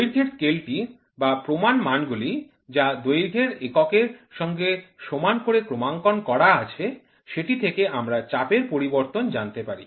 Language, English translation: Bengali, A length scale or a standard which is calibrated in length units equivalent to know the change in pressure